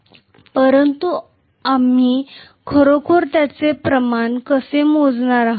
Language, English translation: Marathi, But how are we really going to quantify it